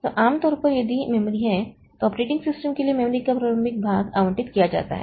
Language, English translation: Hindi, So, typically if this is the memory, so initial portion of the memory is allocated for the operating system